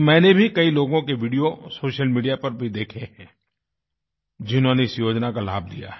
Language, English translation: Hindi, I too have seen videos put up on social media by beneficiaries of this scheme